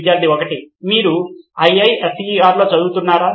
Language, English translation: Telugu, Are you a student of IISER